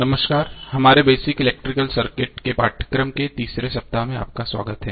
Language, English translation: Hindi, Namashkar, so welcome to the 3 rd week of our course on basic electrical circuits